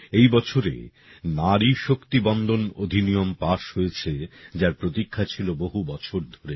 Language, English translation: Bengali, In this very year, 'Nari Shakti Vandan Act', which has been awaited for years was passed